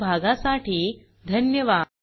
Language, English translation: Marathi, Thank you for joining us